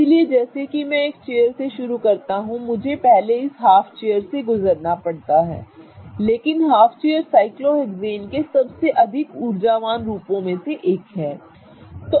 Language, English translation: Hindi, So, as I start from a chair, I first have to go through this half chair, but half chair is one of the most energetic forms of the, or conformers of the cyclohexane